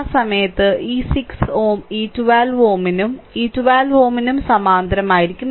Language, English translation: Malayalam, And at that time this 6 ohm will be in parallel to this 12 ohm and with this 12 ohm right